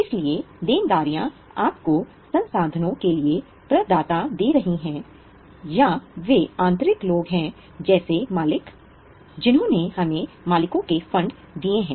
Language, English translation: Hindi, So, liabilities are giving you the providers for the resources or there are internal people like owners who have given us owners funds